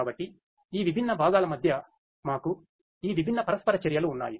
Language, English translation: Telugu, So, we have these different you know interactions between these different components